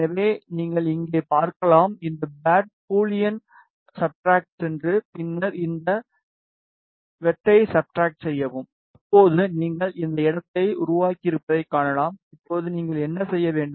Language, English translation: Tamil, So, you can see here just select this pad go to Boolean subtract, and then subtract this cut now you can see you have created this space now what do you need to do